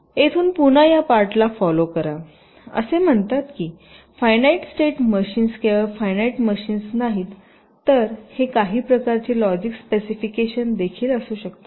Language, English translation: Marathi, this says finite state machines, not only finite machines, it can be some kind of logic specifications also